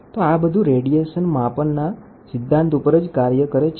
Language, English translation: Gujarati, So, that works on radiation type measurements